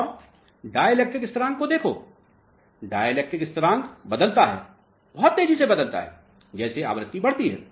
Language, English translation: Hindi, And, look at the dielectric constant; dielectric constant very; very sharply as the frequency increases